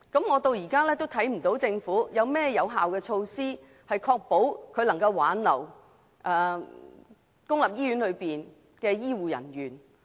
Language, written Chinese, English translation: Cantonese, 我至今仍看不到政府有採取甚麼有效措施，挽留公立醫院的醫護人員。, So far I still cannot see any effective measures taken by the Government to retain health care personnel of public hospitals